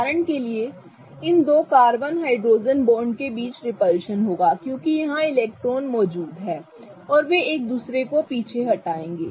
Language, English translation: Hindi, So, for example, these two carbon hydrogen bonds will have repulsion between them because there are electrons present and they will repel each other